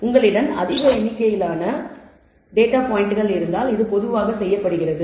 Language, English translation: Tamil, This is typically done, if you have a large number of data points